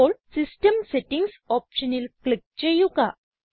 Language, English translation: Malayalam, Now, click on System Settings option